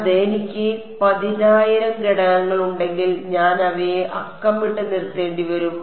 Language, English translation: Malayalam, Yeah, if I have a 10000 elements, then I will have to be numbering them U 1 up to U 100